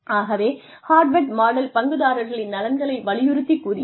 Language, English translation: Tamil, So, Harvard model said that, emphasized on the interests of the stakeholders